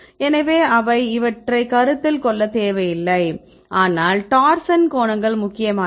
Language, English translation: Tamil, So, they do not consider these, but torsion angles are important right